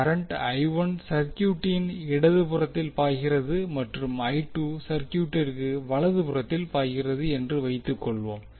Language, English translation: Tamil, Let us assume that the current I 1 is flowing in the left part of the circuit and I 2 is flowing in the right one of the circuit